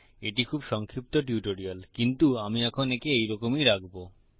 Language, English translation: Bengali, Its a very brief tutorial but I will keep it like that at the moment